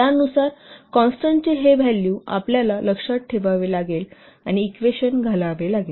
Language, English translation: Marathi, Accordingly, the value of the constants, you have to remember and put in the equation